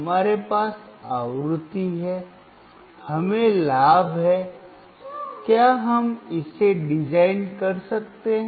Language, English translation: Hindi, We have frequency; we have gain; can we design this